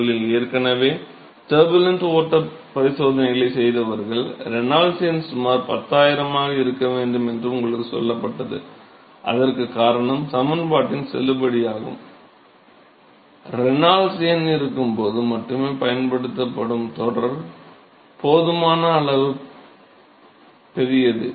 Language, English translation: Tamil, Those of you who have already performed the turbulent flow experiments, you been told that the Reynolds number should be about 10000, the reason why that is the case is the validity of the equation, the correlation that is used is only when the Reynolds number is sufficiently large